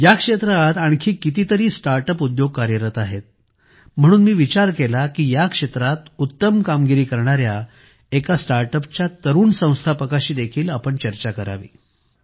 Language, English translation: Marathi, There are many other startups in this sector, so I thought of discussing it with a young startup founder who is doing excellent work in this field